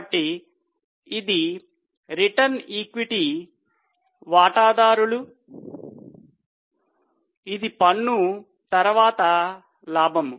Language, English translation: Telugu, So, this is the return meant for the equity shareholders which is profit after tax